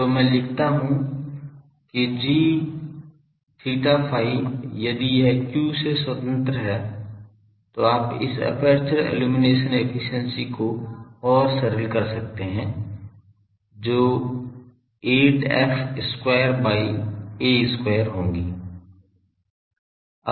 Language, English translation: Hindi, So, I write that; g theta phi is if this is independent of phi then you can further simplify this aperture illumination efficiency that will be 8 f square by a square